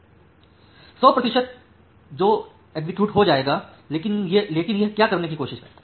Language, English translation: Hindi, For a 100 percent times that will get executed, but what it tries to do